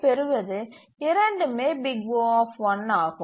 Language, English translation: Tamil, And therefore this is O